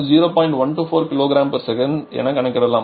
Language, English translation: Tamil, 124 kg per second